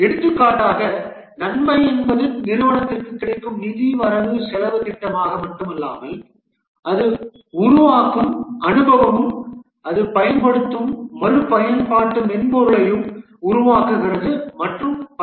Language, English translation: Tamil, For example, the benefit may not only be the financial budget that it provides the company gets, but also the experience it builds up the reusable software that it makes and so on